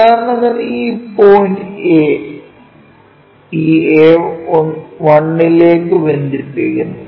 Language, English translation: Malayalam, So, for example, this point A, goes connects to this A 1